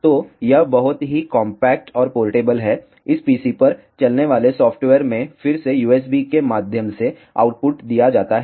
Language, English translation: Hindi, So, it is very compact and portable the output is given again through USB to the software running on this PC